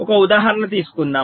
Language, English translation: Telugu, so lets take an example